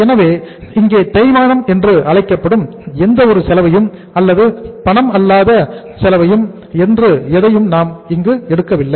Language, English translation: Tamil, So here we have not taken here the any cost which you call it as the uh depreciation or anything say non cash cost